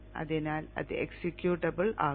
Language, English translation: Malayalam, So that will be made executable